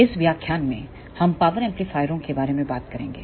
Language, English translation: Hindi, In this lecture we will talk about Power Amplifiers